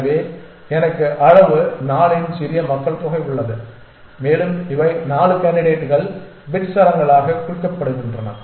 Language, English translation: Tamil, So, I have a small population of size 4 and these are the 4 candidates represented as bit strings